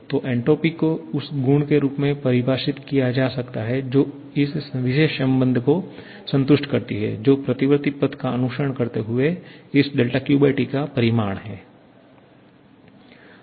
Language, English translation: Hindi, So, entropy can be defined as the property which satisfies this particular relation that is the magnitude of this del Q/T following a reversible path